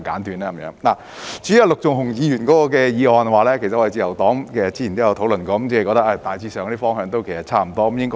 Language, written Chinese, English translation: Cantonese, 至於陸頌雄議員的修正案，自由黨早前亦曾討論過，認為他提出的方向大致上可行，我們應會支持的。, As for the amendments moved by Mr LUK Chung - hung the Liberal Party has discussed them earlier and considered the direction proposed by him to be broadly feasible which may have our support